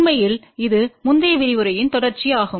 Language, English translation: Tamil, In fact, it is a continuation of the previous lecture